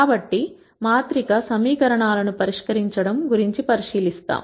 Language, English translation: Telugu, So, we will look at solving matrix equations